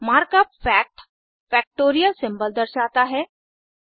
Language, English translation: Hindi, The mark up fact represents the factorial symbol